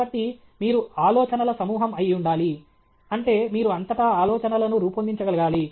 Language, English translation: Telugu, So, you should be a fountain head of ideas; that means, you should be able to generate ideas throughout